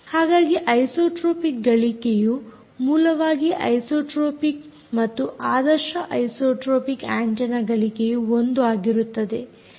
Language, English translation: Kannada, when you talk about an isotropic and ideal isotropic antenna, the gain is one